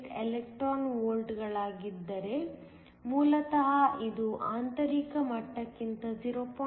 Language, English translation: Kannada, 48 electron volts below the intrinsic level